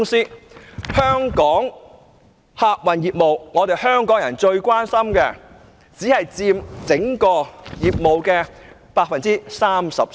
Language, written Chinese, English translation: Cantonese, 當中的香港客運業務，即是香港人最關心的業務，竟然只佔其所有業務的 33%。, Among them Hong Kong transport operations the business about which Hong Kong people are most concerned only account for 33 % of all its businesses surprisingly